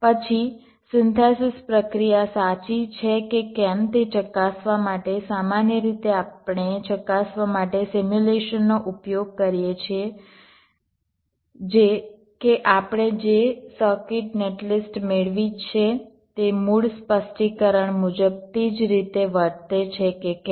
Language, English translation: Gujarati, then, in order to verify whether the synthesis process is correct, we usually use simulation to verify that, whether the circuit net list that we have obtained behaves in the same way as for the original specification